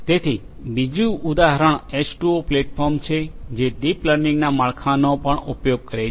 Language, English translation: Gujarati, So, another example is H2O platform that also uses the deep learning framework